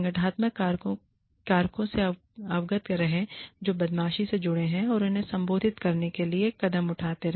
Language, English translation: Hindi, Be aware, of the organizational factors, that are associated with bullying, and take steps, to address them